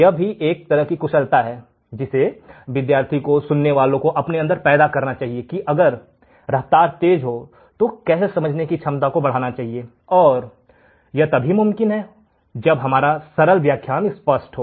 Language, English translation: Hindi, This is another skill that as a student, as a listener, we should develop that if the speed is increased our capability of understanding the problem should also increase and that can increase only when we are clear with the earlier lectures